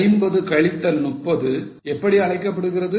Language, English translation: Tamil, What that is known as 50 minus 30